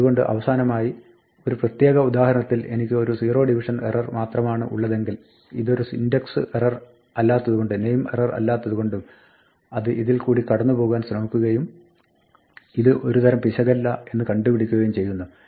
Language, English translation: Malayalam, So, finally, if I had only a zero division error in this particular example then, since it is not an index error and it is not a name error, it would try to go through these in turns that would come here find this is not a type of error